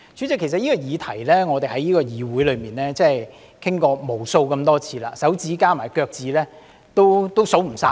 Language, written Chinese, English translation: Cantonese, 代理主席，我們已在議會就這項議題討論過無數次，多至手指加上腳趾也數不完。, Deputy President we have discussed this subject in the Council numerous times more than we can count with our fingers and toes